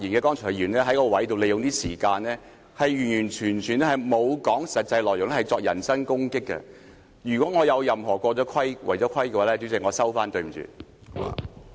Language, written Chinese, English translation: Cantonese, 剛才發言的議員完全沒有說實際內容，只是作人身攻擊，如果我有任何違規的說話，主席，我收回，對不起。, Many Members The earlier speeches of Members were totally devoid of any concrete contents and they merely levelled personal attacks . President I will withdraw any of my remarks which is out of order . Sorry